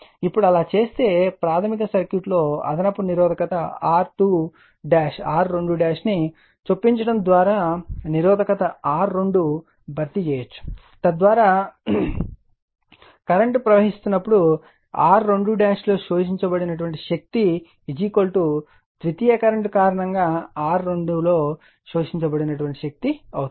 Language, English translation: Telugu, Now, if you do so, if you do so, resistance R 2 can be replaced by inserting an additional resistance R 2 dash in the primary circuit such that the power absorbed in R 2 dash when carrying current your is equal to that in R 2 due to the secondary current, right